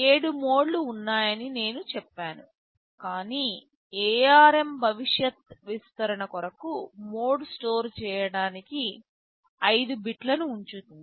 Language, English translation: Telugu, I said there are 7 modes, but to keep with future expansion ARM keeps 5 bits to store mode